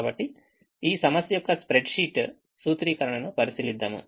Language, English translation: Telugu, let's look at this spread sheet formulation of this problem